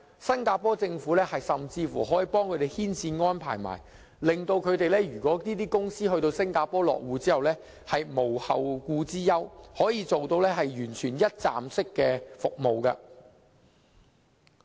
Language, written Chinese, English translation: Cantonese, 新加坡政府甚至幫他們牽線安排，令船公司在新加坡落戶後無後顧之憂，可以提供完全一站式服務。, The Singapore Government even coordinates the arrangement for the comprehensive provision of one - stop services as a means of sparing ship companies any further worries after they have established their bases in Singapore